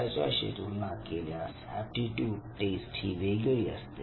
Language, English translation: Marathi, Compared to that aptitude test is different